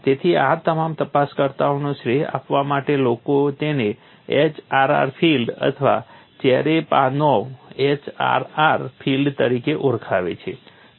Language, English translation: Gujarati, So, in order to give credit to all these investigators, people calling it as HRR field or Cherepanov HRR field, but famously know as HRR field